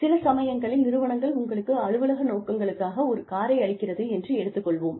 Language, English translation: Tamil, Sometimes, organizations give you, they let you have a car, for official purposes